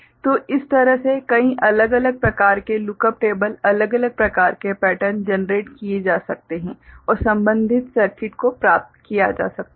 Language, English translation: Hindi, So, this way many different kind of you know, look up table kind of you know this pattern can be generated and corresponding circuit can be obtained